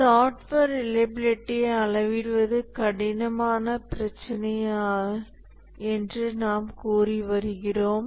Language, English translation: Tamil, We have been saying that measurement of software reliability is a hard problem